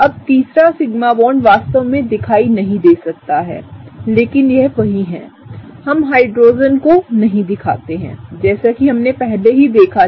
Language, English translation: Hindi, Now, the third sigma bond might not be really visible, but that’s right there; we do not draw Hydrogens as we already saw, right